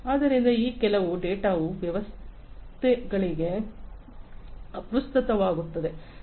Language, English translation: Kannada, So, some data are irrelevant for systems